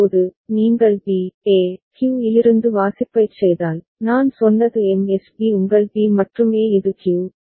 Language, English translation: Tamil, Now, if you do the reading from B, A, Q, as I said MSB is your B and A this is Q